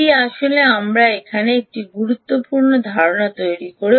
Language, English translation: Bengali, this is actually we made one important assumption here